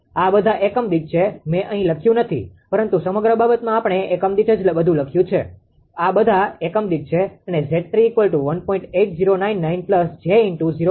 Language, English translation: Gujarati, These are all per unit right; I am not written, but throughout the thing we have written all per unit right; all per unit and Z 3 is equal to ah 1